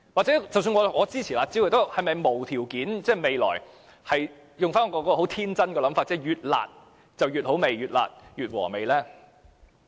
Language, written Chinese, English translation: Cantonese, 即使我支持"辣招"，但是否要無條件地支持，天真地認為"越辣越好吃"、"越辣越和味"呢？, Even though I support the curb measures should I support them unconditionally thinking naively that the harsher the curb measures the better and more desirable?